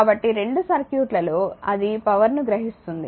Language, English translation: Telugu, So, both circuits apply it is absorbing the power